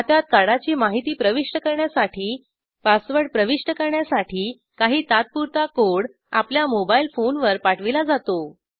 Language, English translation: Marathi, To enter card on account information To enter the pasword some need a temporary code sent to your mobile phone